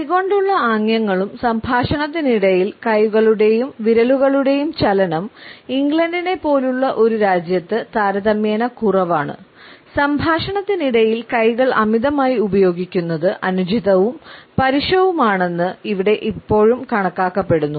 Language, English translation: Malayalam, Gesticulating with hands and other different types of hand and finger movements are relatively less seen in a country like England, where using ones hands too much during the speech is still considered to be inappropriate and rude